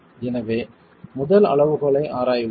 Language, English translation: Tamil, So this is the first stage